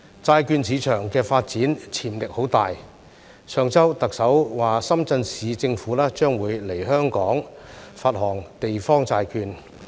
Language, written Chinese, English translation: Cantonese, 債券市場發展潛力很大，上周特首說深圳市政府將會來香港發行地方債券。, The bond market has great development potential . Last week the Chief Executive said that the Shenzhen Municipal Government would issue local government bonds in Hong Kong